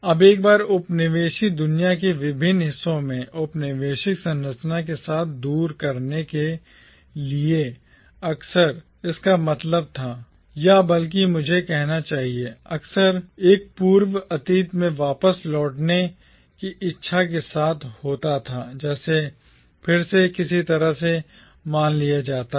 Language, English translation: Hindi, Now, in various parts of the once colonised world, to do away with the colonial structure often meant, or rather I should say, was often accompanied by a desire to revert back to a precolonial past which is again often assumed to be some sort of a golden age